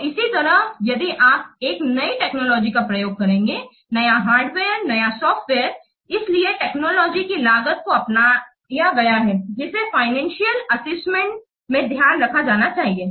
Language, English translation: Hindi, So, similarly then the cost of technology, if you will use a new technology, new hardware, new software, so the cost of technology adopted that must be taken into account in the financial assessment